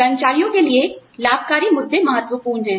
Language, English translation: Hindi, Benefit issues are important to employees